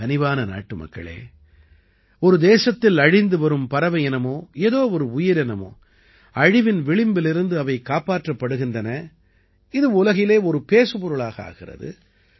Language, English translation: Tamil, My dear countrymen, when a species of bird, a living being which is going extinct in a country is saved, it is discussed all over the world